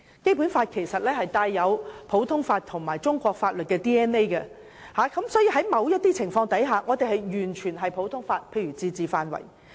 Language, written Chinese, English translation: Cantonese, 《基本法》其實帶有普通法和中國法律的 "DNA"， 所以在某些情況下，我們完全採用普通法，例如自治範圍。, The Basic Law actually contains the DNA of both common law and the laws of China . Hence for such cases concerning the limits of the autonomy we fully adopt the common law